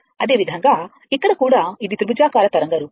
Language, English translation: Telugu, Similarly, here also it is a it is a triangular wave form